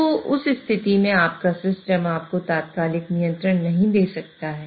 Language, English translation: Hindi, So, in that case, your system may not really give you the instantaneous control